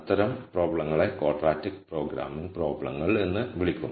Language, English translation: Malayalam, Those types of problems are called quadratic programming problems